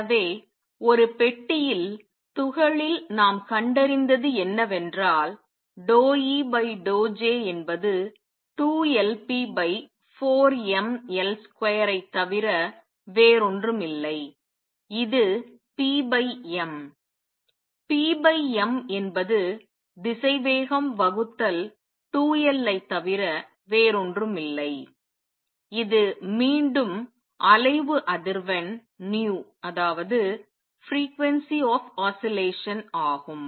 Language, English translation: Tamil, So, what we have found in particle in a box d E d J is nothing but 2L p over 4 m L square which is nothing but p over m, p over m is the velocity divided by 2L which is again the frequency of oscillation nu